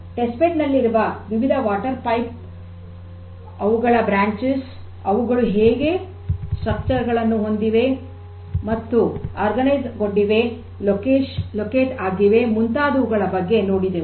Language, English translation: Kannada, How the test bed showing the different water pipes, their branches and so on; how they have been structured; how they have been organized; how they have been located so we have seen that